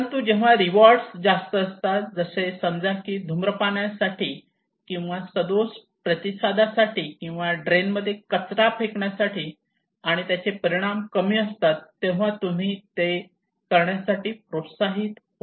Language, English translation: Marathi, But when the rewards are high for let us say for smoking or maladaptive response or throwing garbage in a drain and the consequence is lesser then you are not motivated to do it